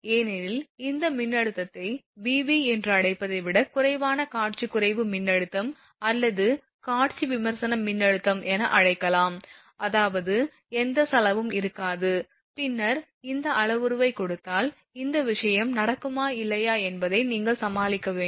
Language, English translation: Tamil, Because this voltage, less than your what you call that your Vv that visual disruptive voltage right or visual critical voltage rather right so; that means, there is no corona there will be cost and then giving this parameter you have to predict from that this thing whether corona will happen or not